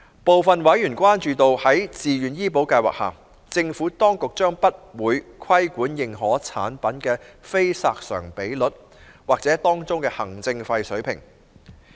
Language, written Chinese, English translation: Cantonese, 部分委員關注到，在自願醫保計劃下，政府當局將不會規管認可產品的非索償比率或當中的行政費水平。, Some Members have expressed concern that there will be no regulation of the level of expense loading of the Certified Plans under VHIS